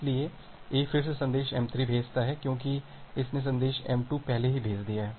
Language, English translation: Hindi, So, A again sends message m3 because it has sent message m2 already, it has sent message m2 already